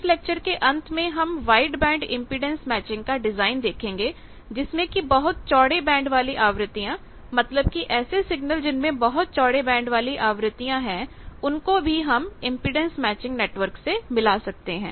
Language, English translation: Hindi, At the end of this week lecture, we will see wide band impedance matching design where much wider band of frequencies that means, much wide signals which containing much wider band of frequencies, they also can be matched with that impedance matching network